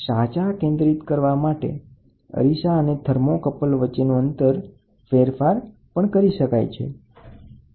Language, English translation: Gujarati, The distance from the mirror and the thermocouple are adjusted for proper focusing